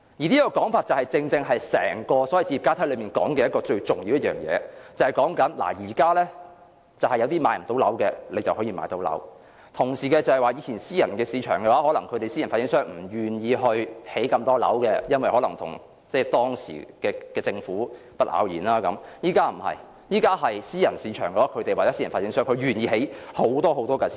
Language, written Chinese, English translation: Cantonese, 這說法正正點出整個置業階梯的最重要一點，就是現時無法負擔買樓的人將可買到樓，而以往私人市場或私人發展商不願意興建太多樓，也許由於與當時的政府不咬弦，但現時私人市場、私人發展商會願意興建很多私樓。, This statement highlights the most important point of the housing ladder which is that the people who cannot afford to buy a home now will be able to buy one in the future and that the private market or private developers who were reluctant to build too many housing units in the past probably because they were not getting along with the Government well are willing to build a great many private flats now